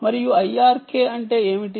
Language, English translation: Telugu, and what is i r k